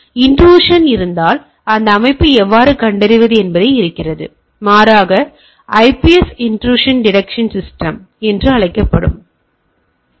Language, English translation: Tamil, So, if there is a intrusion is there how to detect that system, rather there is a another sort of systems called IPS intrusion protection system